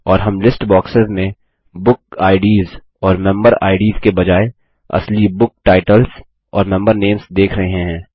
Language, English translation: Hindi, And, we are also seeing list boxes with real book titles and member names, instead of book Ids and member Ids